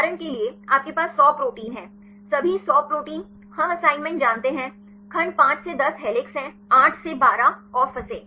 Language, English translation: Hindi, For example, you have 100 proteins; all the 100 proteins, we know the assignment; segment 5 to 10 is helix; 8 to 12 is strand and so on